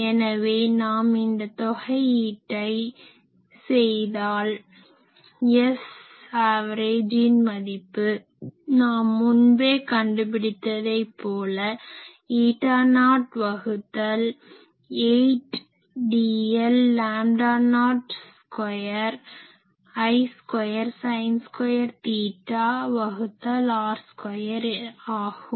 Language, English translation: Tamil, So, we can put that do this integration and it so, I can write this that S average will be already, you have found eta not by 8 dl by lambda not square I square sin square theta by r square